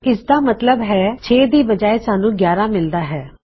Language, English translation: Punjabi, So, that means, instead of 6 we will get 11